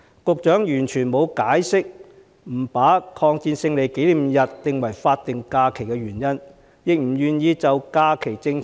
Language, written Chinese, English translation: Cantonese, 局長完全沒有解釋不把抗日戰爭勝利紀念日列為法定假日的原因，亦不願意檢討假期政策。, The Secretary has simply failed to explain why the Victory Day of the War of Resistance against Japanese Aggression should not be designated as a statutory holiday; he is also unwilling to review the holiday policy